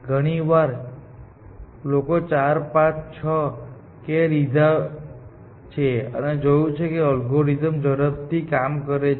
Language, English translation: Gujarati, Very often, people tried 4, 5, 6, values of k and seeing, that their algorithm runs much faster